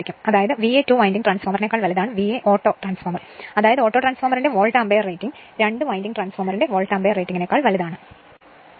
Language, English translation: Malayalam, That means, V A auto is greater than your V A two winding transformer that is that is Volt ampere rating of the autotransformer greater than your Volt ampere rating of the two winding transformer right